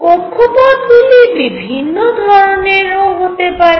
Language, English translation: Bengali, That orbits could be of different kinds